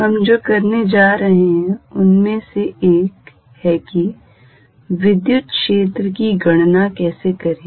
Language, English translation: Hindi, One of the jobs we are going to do is how to calculate electric field